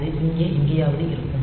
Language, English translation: Tamil, So, it will be somewhere here